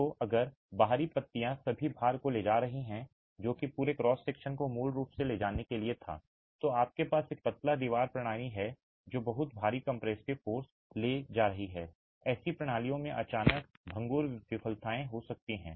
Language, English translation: Hindi, So, if the exterior leaves are carrying all the load that the entire cross section was originally meant to carry, you have a slender wall system that is carrying very heavy compressive forces, you can have sudden brittle failures in such systems